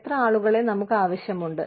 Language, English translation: Malayalam, How many people, do we need